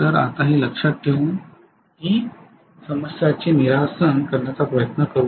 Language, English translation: Marathi, So now with this in mind let us try to do this problem